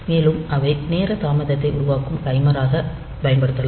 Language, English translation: Tamil, And they can be used as a timer a for time delay generation